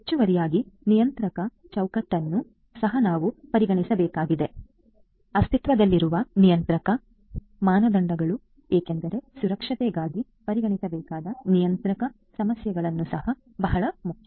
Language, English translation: Kannada, In addition, we also have to take into consideration the regulatory framework, the regulatory standards that are existing because the regulatory issues are also a very important alongside to be considered for security